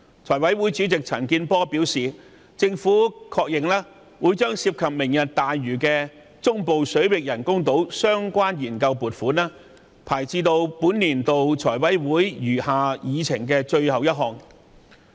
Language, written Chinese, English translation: Cantonese, 財委會主席陳健波議員表示，政府確認會將"明日大嶼"中部水域人工島的研究撥款項目排在本年度財委會餘下議程的最後一項。, According to FC Chairman CHAN Kin - por the Government has confirmed that the funding application for studying the construction of artificial islands in the Central Waters under Lantau Tomorrow will be listed as the last remaining FC agenda item for this session